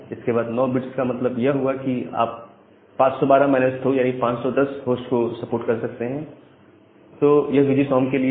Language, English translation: Hindi, 9 bits means you can support 512 minus 2 that means, 510 number of host, so that is for VGSOM